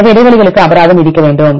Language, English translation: Tamil, So, we need to give penalty for the gaps fine